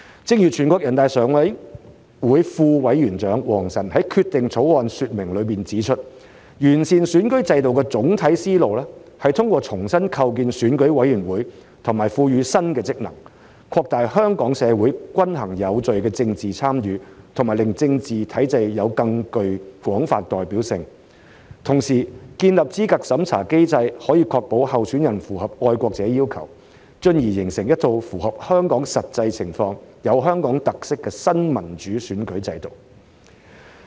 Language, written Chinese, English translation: Cantonese, 正如全國人大常委會副委員長王晨在《決定》的說明中指出，完善選舉制度的總體思路，是通過重新構建選委會和賦予新職能，擴大香港社會均衡有序的政治參與和令政治體制有更廣泛代表性，同時建立資格審查機制可以確保候選人符合愛國者要求，進而形成一套符合香港實際情況，有香港特色的新民主選舉制度。, As WANG Chen Vice Chairman of NPCSC has pointed out in the Explanations on the Draft Decision the general idea of improving the electoral system is to reconstitute EC and entrust EC with new functions expand balanced and orderly political participation in Hong Kong society make the political system more broadly representative and to establish a eligibility review mechanism to ensure that candidates fulfil the requirements of being patriots thereby forming a new democratic electoral system suited to Hong Kongs realities and with Hong Kong characteristics